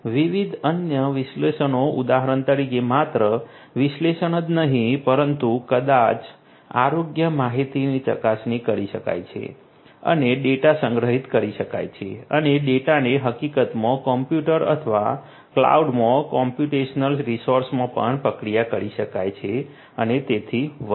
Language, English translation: Gujarati, Different other analysis for example not just analysis, but may be health data; health data verification can be performed and the data can be stored and the data can in fact, be also processed in a computer or a computational resource in the cloud and so on